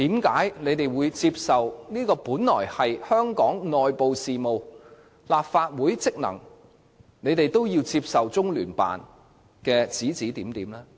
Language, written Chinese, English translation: Cantonese, 為何面對這些屬於香港內部事務和立法會職能的事情，他們卻甘於接受中聯辦的指指點點？, Why are they so willing to follow the instructions of LOCPG in respect of matters pertaining to Hong Kongs internal affairs and the Legislative Councils functions?